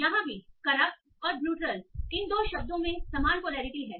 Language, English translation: Hindi, Same here, corrupt and brutal, these two words have the same polarity